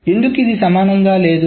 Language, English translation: Telugu, Why it is not equivalent